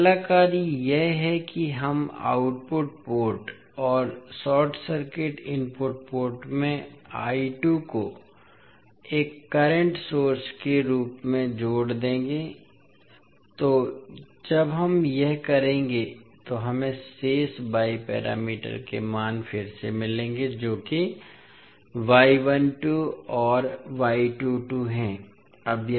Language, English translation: Hindi, Now, next task is that we will add I 2 as a current source at output port and short circuit the input port, so when we will do that we will get again the values of remaining Y parameters that is y 12 and y 22